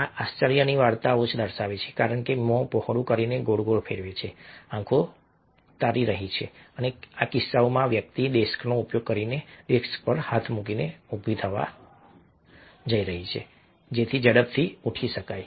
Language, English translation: Gujarati, these are tale, tale displays of surprise, because turning round with mouth wide open, eyes starring, and in this case, this person is about to stand up with his hands on the desk, using the desk as the support to quickly get up